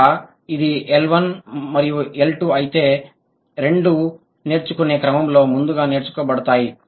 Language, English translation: Telugu, So, if it's L1 and L2, both are acquired earlier in the course of learning L2